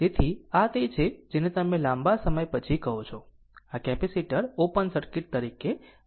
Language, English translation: Gujarati, So, this your what you call this after long time this capacitor will act as open circuit, right